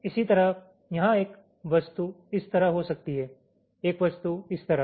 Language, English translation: Hindi, similarly, here there can be one object like this, one object like this